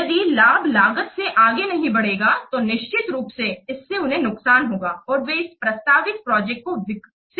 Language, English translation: Hindi, If the benefit will not outweigh the cost, then definitely it will be lost to them and they will not go for developing this proposed project